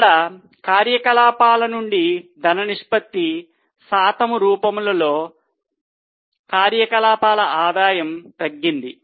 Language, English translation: Telugu, So, there is a fall in the ratio of cash from operations as a percentage of operating revenue